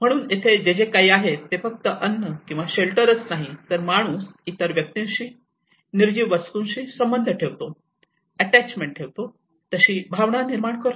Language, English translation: Marathi, So here whatever it is not just only for the food or the shelter it is how a man makes a sense of belonging with other individual though it is not a living being but he still makes some attachment